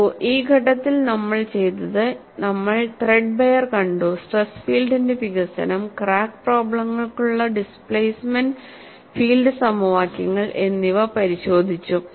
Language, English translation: Malayalam, See, at this stage, what we have done is, we have looked at threadbare, the development of stress field and displacement field equations for crack problems